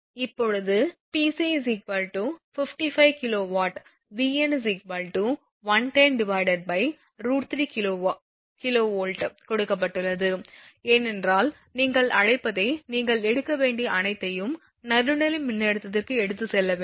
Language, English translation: Tamil, Now, it is given that when Pc is equal to 55 Vn actually 110 by root 3 kV because everything we have to take your what you call that line to neutral voltage